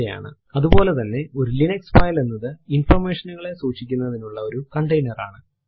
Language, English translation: Malayalam, Similarly a Linux file is a container for storing information